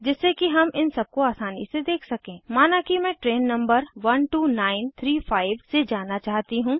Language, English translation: Hindi, So that we can see all of them, Suppose i want to go by this train number12935